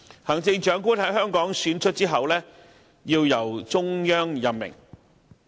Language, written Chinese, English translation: Cantonese, 行政長官在香港選出後，要由中央任命。, A Chief Executive elected in Hong Kong shall be appointed by the Central Authorities